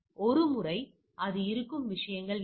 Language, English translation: Tamil, Once so what are the things it will be there